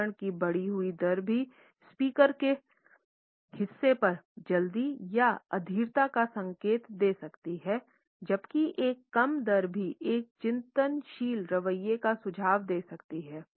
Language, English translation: Hindi, An increased rate of speech can also indicate a hurry or an impatience on the part of the speaker, whereas a decreased rate could also suggest a reflective attitude